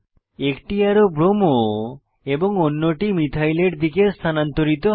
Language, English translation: Bengali, One arrow moves to bromo and other arrow moves towards methyl